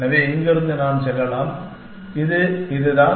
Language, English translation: Tamil, So, from here I can go to, let us it is this